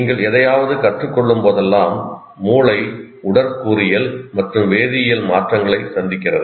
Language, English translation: Tamil, And whenever you learn something, the brain goes through both physical and chemical changes each time it learns